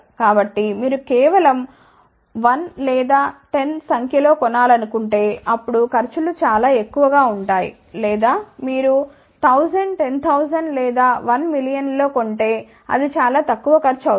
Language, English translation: Telugu, So, if you want to buy just 1 or 10 pieces, it will cause much more if you buy 1000 or 10 000 or 1 million pieces, then the costs will be much smaller ok